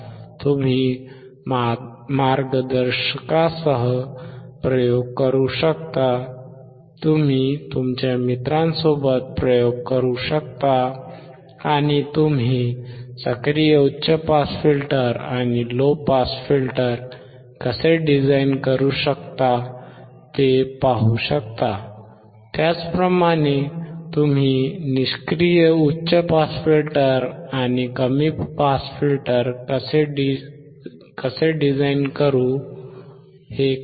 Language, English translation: Marathi, You can perform the experiment along with a mentor you can perform the experiment with your friends, and see how you can design active high pass filter, how you can design an active low pass filter, how you can design a passive high pass filter, how can is an a passive low pass filter